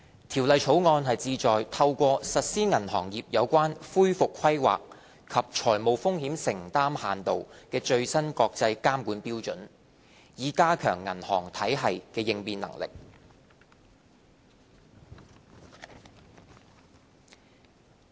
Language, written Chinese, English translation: Cantonese, 《條例草案》旨在透過實施銀行業有關恢復規劃及財務風險承擔限度的最新國際監管標準，以加強銀行體系的應變能力。, The Bill seeks to implement the latest international standards on banking regulation to provide for recovery planning and financial exposure limits thereby enhancing the resilience of our banking system